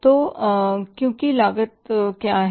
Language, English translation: Hindi, So, because what is our total cost